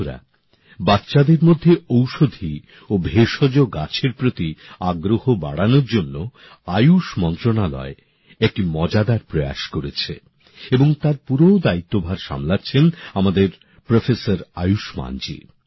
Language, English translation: Bengali, the Ministry of Ayush has taken an interesting initiative to increase awareness about Medicinal and Herbal Plants among children and Professor Ayushman ji has taken the lead